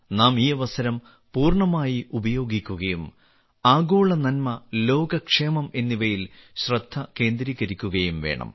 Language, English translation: Malayalam, We have to make full use of this opportunity and focus on Global Good, world welfare